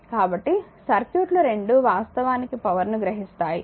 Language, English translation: Telugu, So, both circuits apply it is absorbing the power